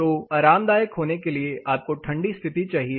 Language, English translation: Hindi, So, you need a colder condition to be more comfortable